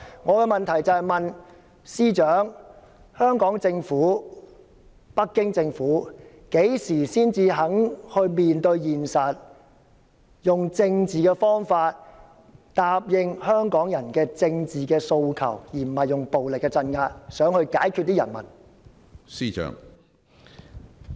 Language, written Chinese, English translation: Cantonese, 我的急切質詢是，司長、香港政府和北京政府何時才肯面對現實，用政治方法答應香港人的政治訴求，而不是用暴力鎮壓來解決人民？, My urgent question is Chief Secretary when will the Hong Kong and Beijing Governments face the reality and answer the political demands of Hong Kong people by political means instead of exerting violent repression of the people?